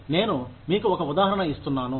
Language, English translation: Telugu, I am just giving you an example